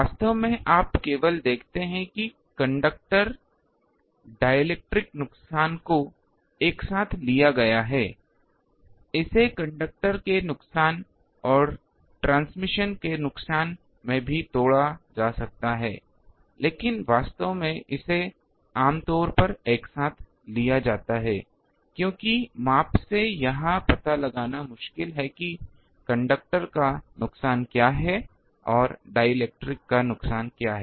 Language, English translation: Hindi, Actually here only you see the conductor dielectric loss together has been taken, it can be also broken into conductor loss and transmission loss, but actually it is generally taken together because it is very difficult to from measurement to find out what is conductor loss and what is dielectric loss